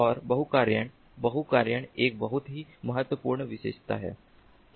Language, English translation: Hindi, multi tasking is a very important feature